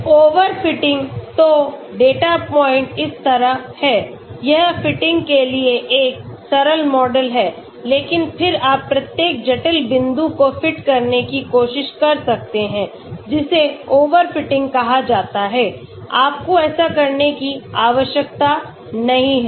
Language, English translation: Hindi, Overfitting , so the data points is like this, it is a simple model for fitting but then you can have very complex model try to fit each and every point that is called an overfitting, you do not need to have that